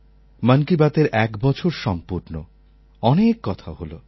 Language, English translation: Bengali, "Mann Ki Baat" one year, many thoughts